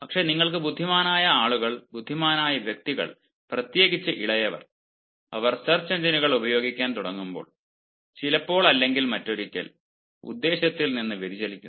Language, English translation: Malayalam, but you know as intelligent guys and as intelligent individuals, especially the younger ones, when they start making use of search engines, sometimes or the other, they actually get deviated